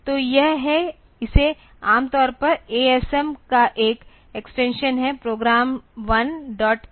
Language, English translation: Hindi, So, this is this normally has an extension of a s m Prog 1 dot asm